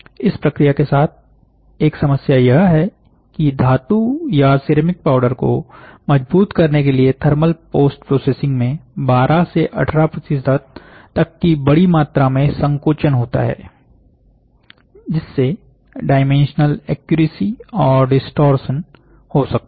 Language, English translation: Hindi, A problem with this process is that thermal post processing to consolidate the metal or ceramic powder results in a large amount of shrinkage 12 to 18 percent, which can lead to dimensional inaccuracies and distortion